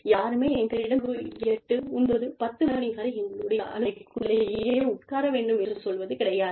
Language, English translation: Tamil, Nobody tells us that, we need to sit on our offices, till, 8, 9, 10, at night